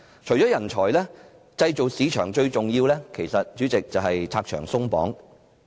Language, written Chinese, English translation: Cantonese, 除了人才，對製造業市場最重要的是拆牆鬆綁。, In addition to talent removing various restrictions is the most important to the manufacturing market